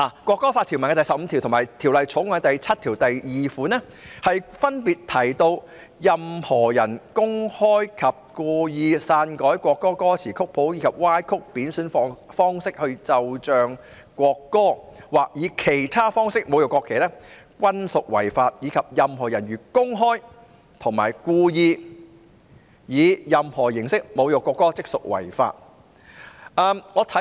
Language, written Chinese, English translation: Cantonese, 《國歌法》的第十五條與《條例草案》第7條分別提到，任何人如公開及故意篡改國歌歌詞或曲譜，或以歪曲或貶損的方式奏唱國歌，或以其他方式侮辱國歌均屬犯法，以及任何人如公開及故意以任何方式侮辱國歌，即屬犯罪。, Article 15 of the National Anthem Law and clause 7 of the Bill respectively provide that a person commits an offence if the person publicly and intentionally alters the lyrics or score of the national anthem or plays and sings the national anthem in a distorted or disrespectful way or insults the national anthem in any other manner or publicly and intentionally insults the national anthem in any way